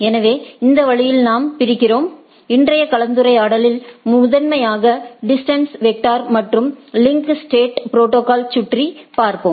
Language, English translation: Tamil, So, this way we segregate, we today’s talk or today’s discussion will be primarily hovering around distance vector and the link state protocol right